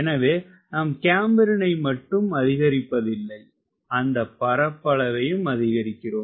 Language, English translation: Tamil, so what it is doing it is not only changing the camber, it is also increasing the area